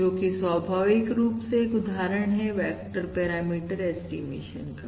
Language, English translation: Hindi, Therefore, this leads to vector parameter estimation